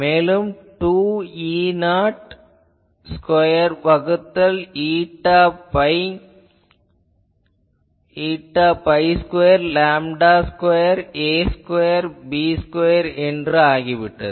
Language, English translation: Tamil, So, if you do that, it becomes 2 E not square by eta pi square lambda square a square b square